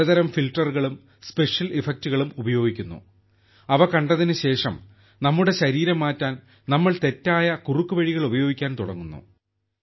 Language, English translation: Malayalam, Many types of filters and special effects are used and after seeing them, we start using wrong shortcuts to change our body